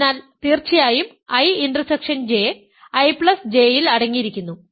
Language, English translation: Malayalam, So, now I am trying to show that I intersection J is contained in I J